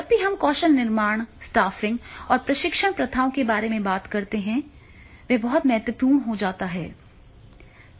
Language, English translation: Hindi, When we talk about the building the skills, the stopping and the training practices that becomes very, very important